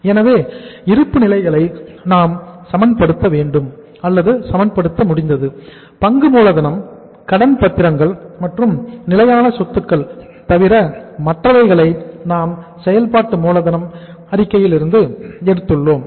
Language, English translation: Tamil, So we have been able to balance the balance sheet and you see say other than share capital and debentures and fixed assets most of the other items have come from the working capital statement